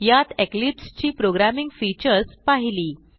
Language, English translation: Marathi, Welcome to the tutorial on Programming Features of Eclipse